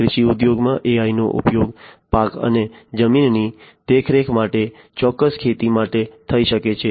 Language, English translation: Gujarati, In the agriculture industry AI could be used for crop and soil monitoring, for precision agriculture